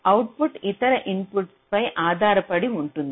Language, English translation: Telugu, is the output will be dependent on the other inputs